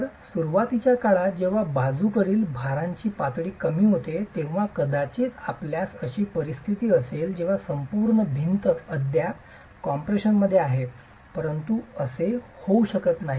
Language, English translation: Marathi, So, initially when the level of lateral loads are low, you will probably have a situation where the entire wall is still in compression